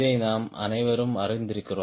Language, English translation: Tamil, we are all familiar with this right